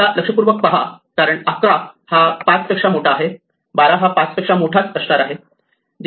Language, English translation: Marathi, Now, notice that because 11 was already bigger than 5, 12 will remain bigger than 5